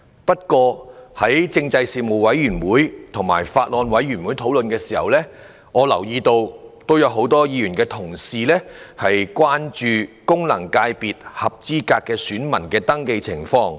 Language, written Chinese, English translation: Cantonese, 不過，在政制事務委員會和《2019年選舉法例條例草案》委員會討論時，很多議員關注功能界別合資格選民的登記情況。, However during the discussions of the Panel on Constitutional Affairs and the Bills Committee on Electoral Legislation Bill 2019 the issue of voter registration for functional constituencies FCs had aroused much concern among Members